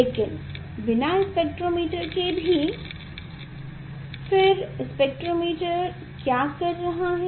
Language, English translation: Hindi, But, without spectrometer also what spectrometer is doing